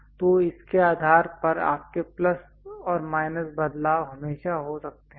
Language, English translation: Hindi, So, based on that your plus and minus variations always happen